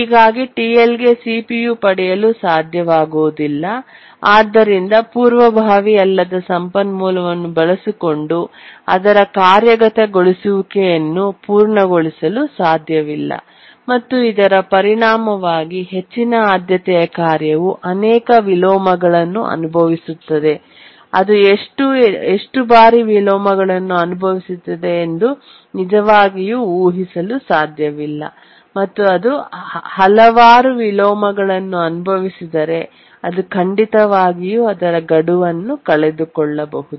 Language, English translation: Kannada, And therefore, TL is not able to get the CPU and it cannot complete its execution using the non preemptible resource and as a result the high priority tasks suffers multiple inversions and we cannot really predict how many inversions it will suffer if it suffers too manyions, then it can definitely miss its deadline